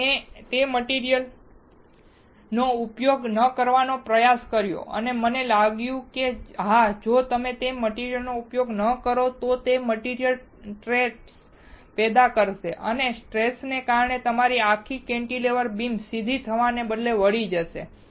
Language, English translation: Gujarati, So, I tried of not using that material and I found that yes, if you do not use that material, then it will cause stress in the material and because of the stress your whole cantilever beam instead of straight, it will be bent